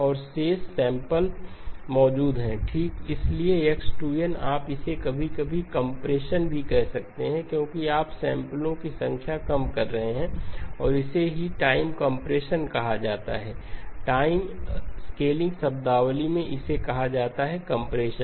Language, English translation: Hindi, And the remaining samples are present okay, so the x of 2n you can think of it as sometimes called compression because you are reducing the number of samples and this is what is called time compression as well, in the time scaling terminology this is called compression